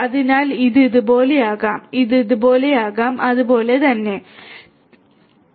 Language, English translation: Malayalam, So, this can be like this, this can be like this, right and similarly over here as well